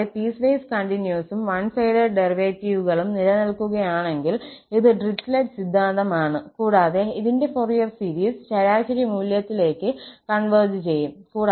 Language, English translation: Malayalam, And, if piecewise continuous and one sided derivatives exist, this is the Dirichlet theorem and the Fourier series converges to this average value